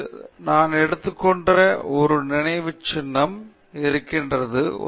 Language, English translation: Tamil, So, here we have a monument which I have taken